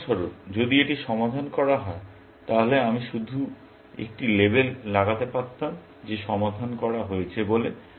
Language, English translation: Bengali, For example, if this was solved, then I could just put a label, saying solved